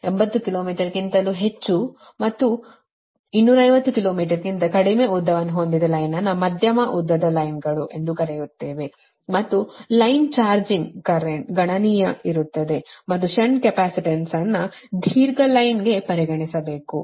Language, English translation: Kannada, right length is a, basically we call medium length lines, and the line charging current becomes appreciable and the shunt capacitance must be considered for the such a long line right